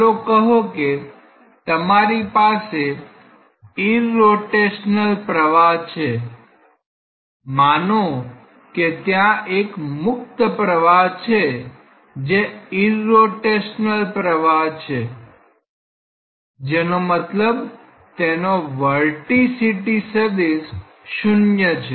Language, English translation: Gujarati, Let us say that you have an irrotational flow, say there is a free stream which is having an irrotational flow; that means, it has null vorticity vector